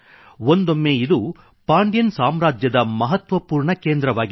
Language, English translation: Kannada, Once it was an important centre of the Pandyan Empire